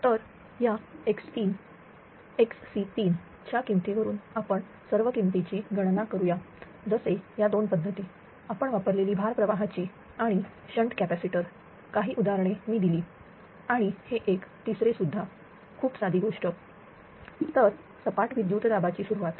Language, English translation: Marathi, So with this x 3, x 3 value will conclude this we will compute all the values such that look two methods note for we use and one shunt capacitors some example I have given and one this one we have also given this 3 right, very simple thing